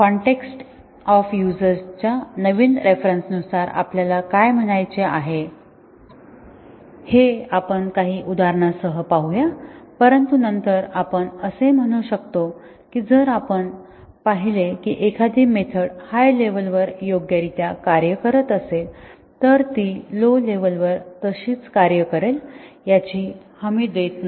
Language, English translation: Marathi, We will see this with some examples what we mean by new context of usage, but then we can say that, if you observed that a method has behaved correctly at an upper level does not guarantee that it will behave at a lower level and